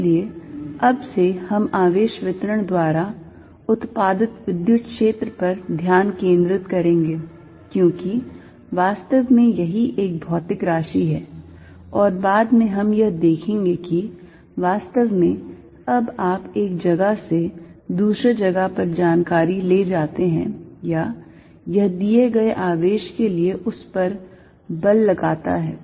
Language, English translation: Hindi, So, from now onwards, we are going to focus on the electric field produced by charge distribution, because that is what really is a physical quantity, and later we will see that is what really you now take information from one place to the other or it apply forces on for a given charge